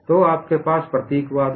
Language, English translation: Hindi, So, you have the symbolism